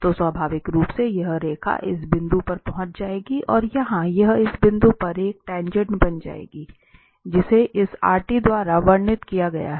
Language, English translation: Hindi, So, naturally this line will approach to this point and it will become a tangent at this point here, which was described by this rt